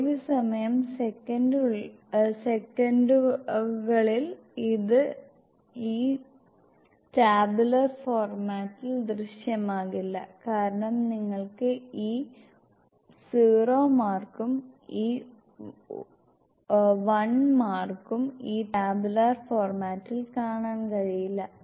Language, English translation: Malayalam, Working time in seconds, if you have like this space, this will not appear in this tabular format because you are not able to see this 0 mark and this 1 mark in this tabular format